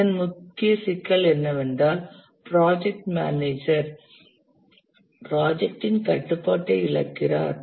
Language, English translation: Tamil, The main problem with this is that the project manager loses control of the project